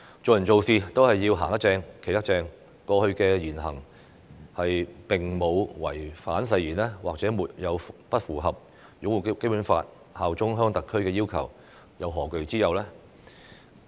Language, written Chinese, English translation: Cantonese, 做人做事，只要"行得正、企得正"，過去的言行並無違反誓言，亦沒有不符合擁護《基本法》、效忠香港特區的要求，又何懼之有呢？, As long as we are righteous and our words and deeds have not breached the oath or failed to fulfil the requirements of upholding the Basic Law and bearing allegiance to HKSAR we shall fear nothing